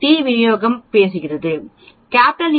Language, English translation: Tamil, We are talking about t distribution